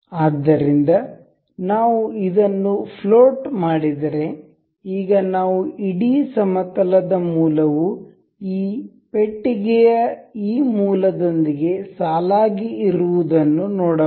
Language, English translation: Kannada, So, if we make this float, now we can see the origin of the whole plane is aligned with this origin of this box